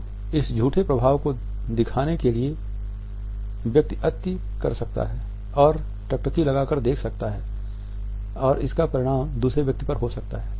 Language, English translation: Hindi, So, in order to pass on this false impact the person can overdo can over gaze and may result in steering at another person